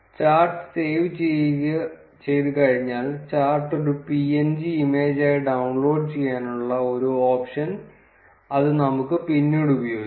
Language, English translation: Malayalam, Once the chart gets saved, it gives us an option to download the chart as a png image which we can probably use later